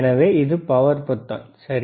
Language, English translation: Tamil, So, this is the power button, all right